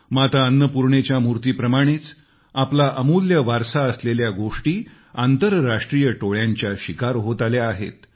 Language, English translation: Marathi, Just like the idol of Mata Annapurna, a lot of our invaluable heritage has suffered at the hands of International gangs